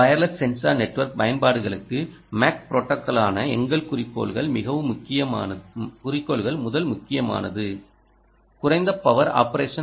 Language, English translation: Tamil, our goals for the mac protocol for wireless sensor network applications are: first important point: low power operation